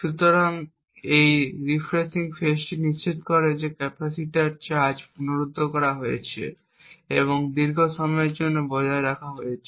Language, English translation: Bengali, So, this refreshing phase ensures that the charge on the capacitance is restored and maintained for a longer period